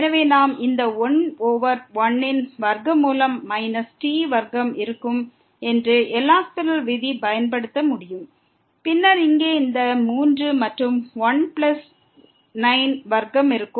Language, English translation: Tamil, So, we can apply the L’Hospital’s rule which says this will be 1 over square root 1 minus square and then here this will be 3 and 1 plus 9 square and then, the limit t goes to 0